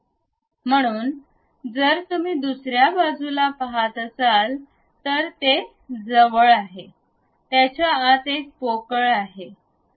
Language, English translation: Marathi, So, if you are seeing on other side, it is close; inside it is a hollow one